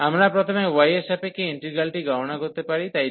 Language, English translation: Bengali, We can also compute first the integral with respect to y so this dy